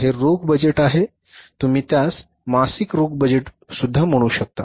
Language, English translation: Marathi, You call it as that is the monthly cash budget